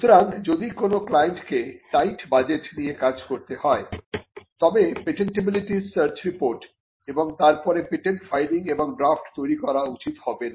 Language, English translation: Bengali, So, if the client operates on a tight budget, then it would not be advisable to go in for patentability search report followed by the filing and drafting of a patent itself